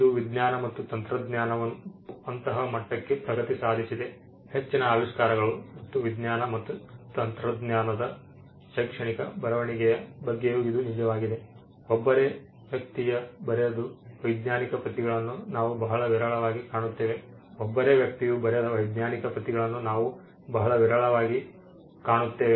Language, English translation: Kannada, Today the sciences and technology has progressed to such a level that most of the inventions and this is also true about academic writing in the scientific in science and technology; most of the time they are coauthor we would very rarely find papers written by a single person